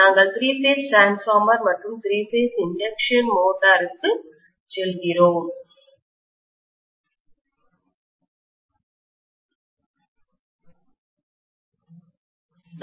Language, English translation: Tamil, So we will not revisit three phase again until we go over to three phase transformer and three phase induction motor